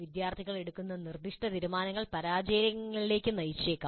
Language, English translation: Malayalam, Specific decisions made by the students may lead to failures